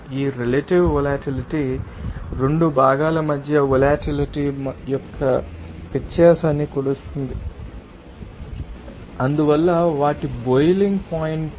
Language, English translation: Telugu, You will see that this relative volatility will measure the difference in volatility between 2 components and hence their boiling points